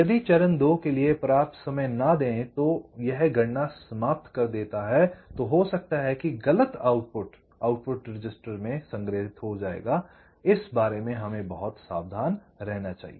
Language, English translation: Hindi, so if do not give sufficient time for a stage two, finish it, computation then may be the wrong output will get stored in the register, in the output register